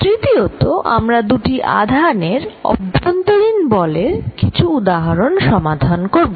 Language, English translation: Bengali, Third, then we are going to solve some examples for forces between two charges